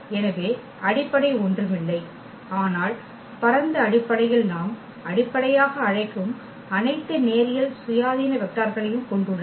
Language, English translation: Tamil, So, the basis is nothing, but spanning set which has all linearly independent vectors that we call basis